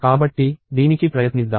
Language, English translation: Telugu, So, let us try this